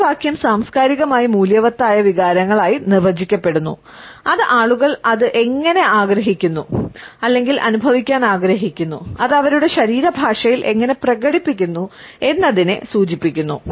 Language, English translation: Malayalam, This phrase is defined as culturally valued emotions and how people want or learn to feel it and express it in their body language